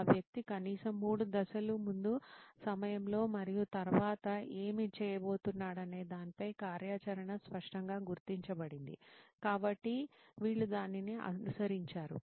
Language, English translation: Telugu, Then the activity is clearly marked as to what the person is going to do before, during and after and at least 3 steps, so this guys followed that